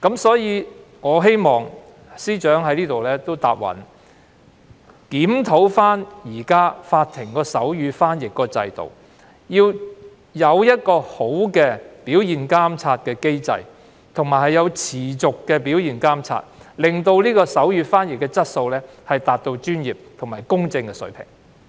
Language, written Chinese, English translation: Cantonese, 所以，我希望司長在此承諾，檢討法庭現時的手語傳譯制度，建立理想的表現監察機制，以及進行持續的表現監察，令手語傳譯質素達至專業和公正的水平。, I therefore hope that the Chief Secretary will hereby undertake to review the existing sign language interpretation system in courts establish an ideal performance monitoring mechanism and conduct continuous performance monitoring so that the quality of sign language interpretation can meet the standards of professionalism and impartiality